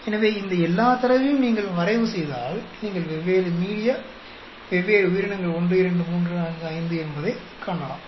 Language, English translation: Tamil, So, if you plot all these data, you see that different media, different organism 1, 2, 3, 4, 5